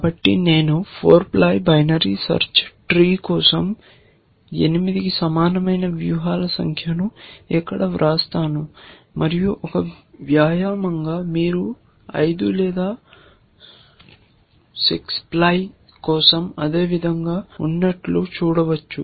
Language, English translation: Telugu, So, I will just write it here number of strategies equal to 8 for a 4 ply binary search tree, and as an exercise you can see that for 5 or 6 ply it is the same it is